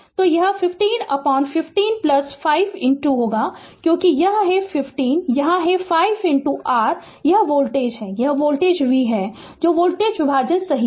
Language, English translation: Hindi, So, it will be 15 divided by 15 plus 5 because it is 15 here it is 5 into your this voltage, this voltage v that is voltage division right